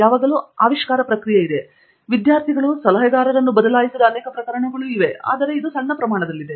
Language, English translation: Kannada, There is always a discovery process, there are cases in which students have switched advisors, of course that is a very small proportion